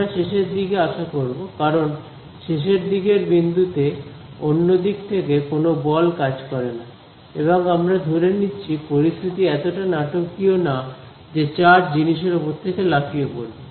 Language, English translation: Bengali, We would expect towards the ends because, on the end points there is no force from the other side right and we are assuming that the situation is not so dramatic that the charge jumps off the thing right